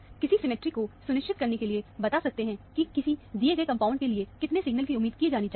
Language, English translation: Hindi, One can tell for sure from the symmetry, how many signals are to be expected for a given compound